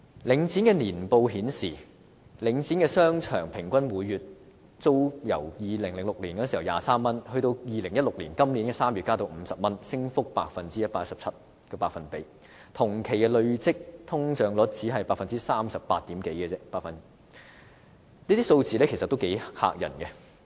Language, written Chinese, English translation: Cantonese, 領展的年報顯示，領展商場平均每月呎租由2006年的23元，到今年2016年3月增至50元，升幅是 117%， 而同期累積通脹率只是百分之三十八點多，這些數字頗為駭人。, According to the annual report released by Link REIT the average monthly rental of shopping arcades under Link REIT had increased by 117 % from 23 per square foot in 2006 to 50 per square foot in March 2016 . Compared with the cumulative inflation rate of only 38 % in the same period these figures are outrageous